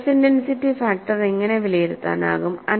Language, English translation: Malayalam, And in what way the stress intensity factors could be evaluated